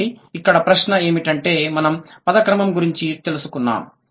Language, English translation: Telugu, So, the question here is we got to know about the word order